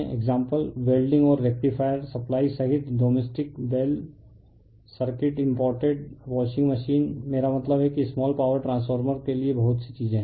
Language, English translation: Hindi, Example, including welding and rectifier supply rectifiersupplies then domestic bell circuit imported washing machine it is I mean so many many things are there for small power transformer